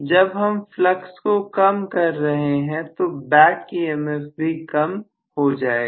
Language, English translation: Hindi, When I reduce the flux the back EMF is going to drop